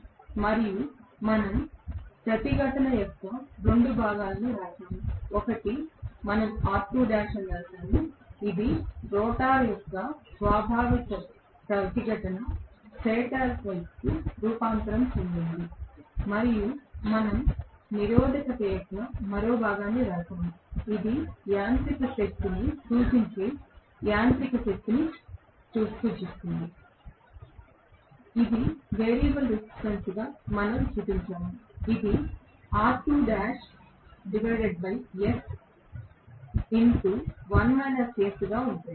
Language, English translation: Telugu, And we wrote 2 portions of the resistance, one we wrote as R2 dash which is the inherent resistance of the rotor transformed into the stator side and we wrote one more portion of the resistance which represents the mechanical power which we showed as a variable resistance, which is R2 dash by s multiplied by 1 minus s right